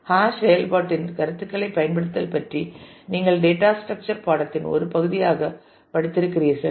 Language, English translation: Tamil, Using, concepts of hash function which you must have studied as a part of your data structure course